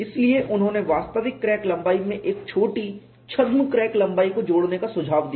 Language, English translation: Hindi, So, they suggested addition of a small pseudo crack length to the actual crack lengths